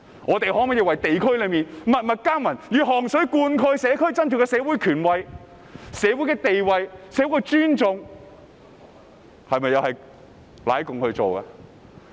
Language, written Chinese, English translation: Cantonese, 我們為地區默默耕耘，以汗水灌溉社區，在社會上取得地位和尊重，這都是為"奶共"而做的嗎？, We work hard in the districts in silence serving the community with sweat and toil thereby gaining status and respect in society . Did we do all the work for the sake of sucking up to the communist party?